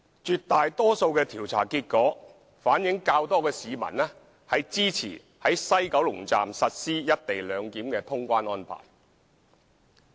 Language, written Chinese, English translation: Cantonese, 絕大多數調查結果反映較多市民支持於西九龍站實施"一地兩檢"的通關安排。, An overwhelming majority of the survey findings reflect that more people support the implementation of the co - location arrangement at the West Kowloon Station as the clearance procedures